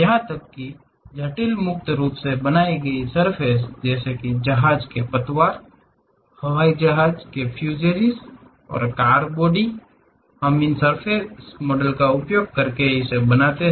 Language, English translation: Hindi, Even complex free formed surfaces like ship hulls, aeroplane fuselages and car bodies; we can use these surface models